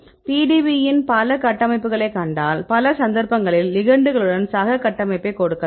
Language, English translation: Tamil, If you see the PDB several structures we can give free structures also many cases you have the structures with ligands